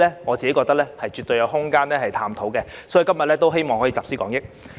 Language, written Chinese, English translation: Cantonese, 我認為絕對有探討的空間，所以希望今天可集思廣益。, I reckon there is definitely room for exploration . Therefore I hope to put our heads together today